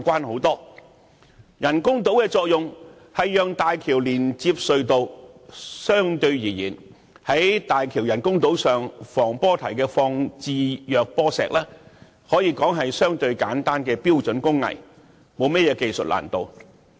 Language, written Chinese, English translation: Cantonese, 其人工島的作用是讓大橋連接隧道，在大橋人工島防波堤放置弱波石，可說是相對簡單的標準工藝，並沒有技術難度。, Under the project the main bridge is connected by an artificial island to the tunnel . The placement of wave - dissipating concrete blocks on the seawall of the artificial island is a relatively simple and standardized craft involving no technical difficulty